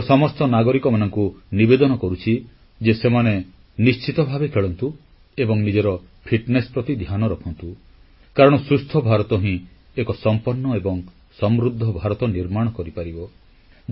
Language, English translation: Odia, I request every citizen to make it a point to play and take care of their fitness because only a healthy India will build a developed and prosperous India